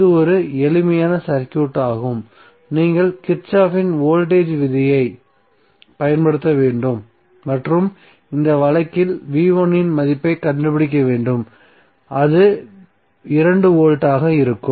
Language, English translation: Tamil, So this will be a simpler circuit so you have to just apply kirchhoff's voltage law and find out the value of voltage V1 which comes outs to be 2 volt in this case